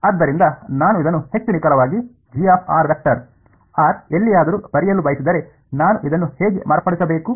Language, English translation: Kannada, So, if I want to write this in more precise way where G of r vector, r can be anywhere then how should I modify this